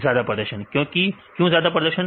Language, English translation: Hindi, High performance, why high performance